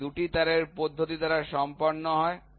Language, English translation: Bengali, So, this is done by 2 wire method